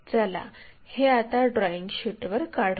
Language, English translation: Marathi, So, let us begin that on our drawing sheet